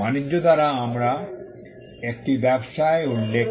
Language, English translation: Bengali, By trade we refer to a business